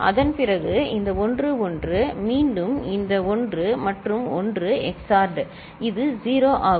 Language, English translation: Tamil, After that, this 1 and 1 again this 1 and 1 XORed, it is 0